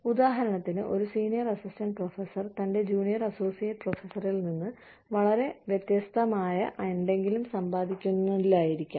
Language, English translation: Malayalam, So, a senior assistant professor, for example, may not be earning, something very significantly, different from his junior associate professor